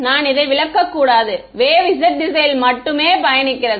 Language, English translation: Tamil, I should you should not interpret this as the wave is travelling only along the z direction